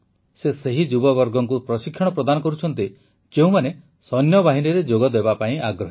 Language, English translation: Odia, He imparts free training to the youth who want to join the army